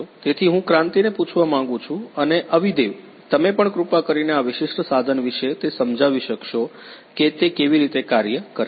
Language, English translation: Gujarati, So, I would like to ask Kranti as well as Avidev could you please explain about this particular instrument how it works